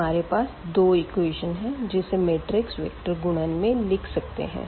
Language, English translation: Hindi, So, we have seen that we had these two equations which we have also written in the form of this matrix a vector multiplication